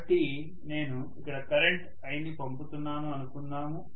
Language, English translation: Telugu, So let us say I am pumping in a current of I here, okay